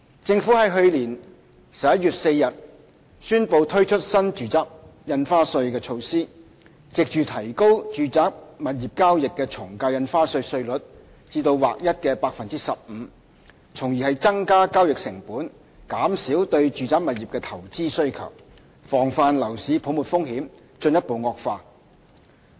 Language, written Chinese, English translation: Cantonese, 政府在去年11月4日宣布推出新住宅印花稅的措施，藉着提高住宅物業交易的從價印花稅稅率至劃一的 15%， 從而增加交易成本，減少對住宅物業的投資需求，防範樓市泡沫風險進一步惡化。, The Government announced the introduction of the NRSD measure on 4 November last year . By increasing AVD chargeable on residential property transactions to a new flat rate of 15 % the new measure would increase the transaction costs and thereby reduced investment demand for residential properties which in turn guarded against further increase in the risks of a housing bubble